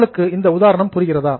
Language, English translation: Tamil, Are you seeing the example